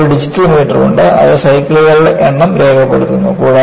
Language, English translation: Malayalam, And, you have a digital meter, which records the number of cycles